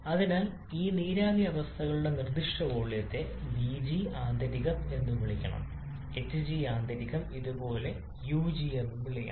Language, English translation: Malayalam, So the specific volume of these vapours state they should be called vg internal should be hg internal should be called ug just like this